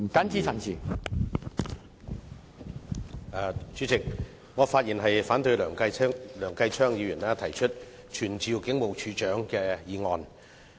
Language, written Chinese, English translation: Cantonese, 主席，我發言反對梁繼昌議員動議傳召警務處處長的議案。, President I speak to oppose the motion moved by Mr Kenneth LEUNG that this Council summons the Commissioner of Police